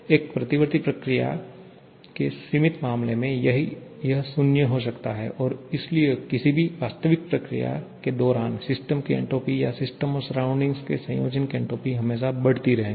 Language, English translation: Hindi, At the limiting case of a reversible process, it can be 0 and therefore during any real process the entropy of the system or entropy of the system surrounding combination will always keep on increasing